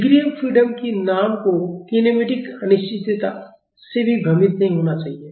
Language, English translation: Hindi, The name degrees of freedom should not get confused with kinematic indeterminacy